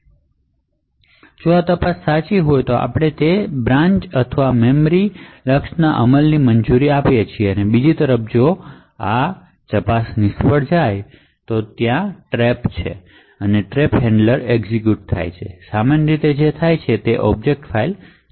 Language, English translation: Gujarati, Now if this check holds true then we permit the execution of that branch or memory axis, on the other hand if this particular check fails then there is a trap and a trap handler is executed typically what would happen is that the object file would terminate